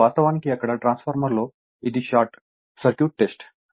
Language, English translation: Telugu, Now, actually in a transformer there now this is the Short Circuit Test